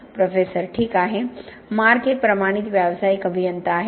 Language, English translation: Marathi, Professor: Well, Mark is a certified professional engineer